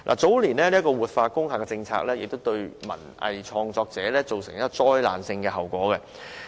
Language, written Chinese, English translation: Cantonese, 早年"活化工廈"的政策亦對文藝創作者造成災難性的後果。, The policy of revitalizing industrial buildings launched in recent years has had a catastrophic effect on cultural and arts practitioners